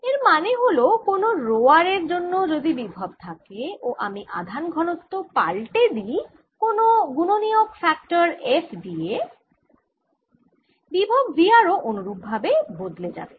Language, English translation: Bengali, and what it means is if there's some potential due to rho r, if i change the density to some factor, f, rho r, the potential correspondingly will change the potential v r